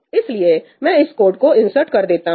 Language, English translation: Hindi, So, I insert this code